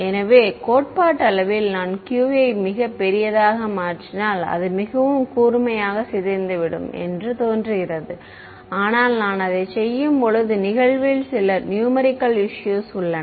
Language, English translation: Tamil, So, theoretically it seems that if I make q to be very large then it will decay very sharply, but there are certain numerical issues that happened when I do that